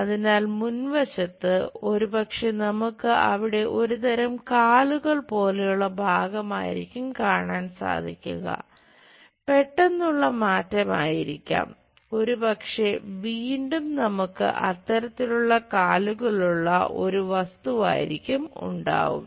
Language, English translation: Malayalam, So, at front side perhaps it is more like a kind of legs we might be seeing there, might be sudden jump and again perhaps we might have such kind of leg such kind of object